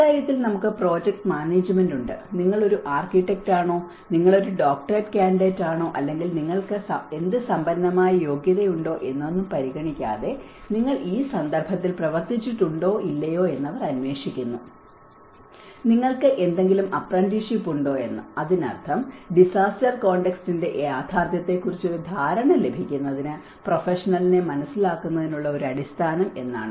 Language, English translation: Malayalam, We have the project management on this, irrespective of whether you are an architect, whether you are a doctorate candidate or if you are whatever the rich qualification you have, but they look for whether you have worked in this context or not, whether you have some apprenticeship where you have so which means that forms a basis of an understanding of the professional to get an understanding of the reality of the disaster context